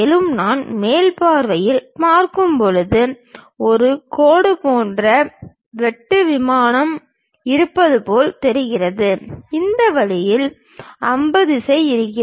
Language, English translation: Tamil, And, when I am looking from top view it looks like there is a cut plane like a line, there will be arrow direction in this way